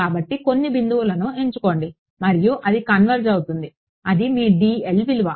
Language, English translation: Telugu, So, pick a few points and it should converge and then that is your value of dl ok